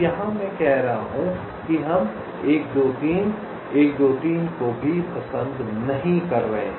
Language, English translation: Hindi, so here i am saying that we are not even going into one, two, three, one, two, three, like that